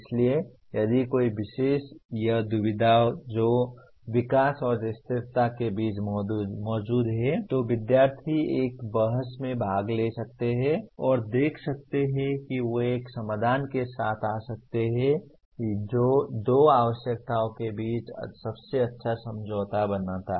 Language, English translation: Hindi, So if a particular, this dilemma that exist between development and sustainability the students can participate in a debate and see whether they can come with a solution that creates the best compromise between the two requirements